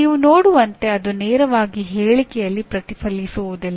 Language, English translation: Kannada, As you can see it does not directly get reflected in the statement